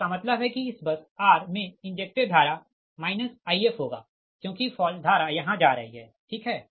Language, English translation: Hindi, that means injected current to this bus r will be minus i f right because fault current is going here right